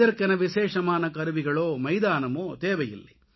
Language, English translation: Tamil, No special tools or fields are needed